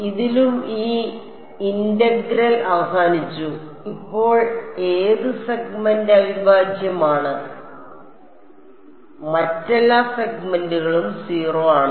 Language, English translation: Malayalam, In this and this integral is over which segment now is integral is going to be only over segment e 1 all other segments are 0